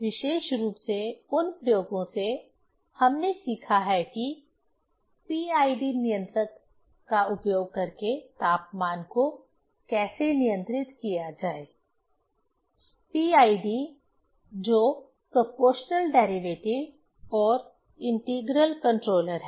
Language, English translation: Hindi, From that experiments specially, we have learned how to control temperature using PID controller; PID that is proportional derivative and integral controller